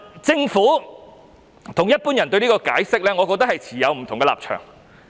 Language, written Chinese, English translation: Cantonese, 政府與一般人對此持有不同立場。, The Government and the general public hold differing views over this